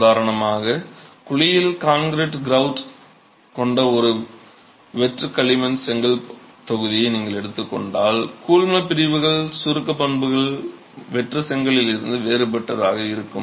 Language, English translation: Tamil, If you take for example a hollow clay brick block with concrete grout in the cavity then the compression properties of the grout will be different from that of the hollow brick itself